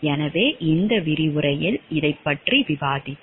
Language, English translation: Tamil, So, this we will be discussing in this lecture